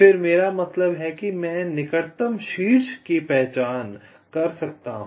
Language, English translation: Hindi, then i means i can identify the nearest vertex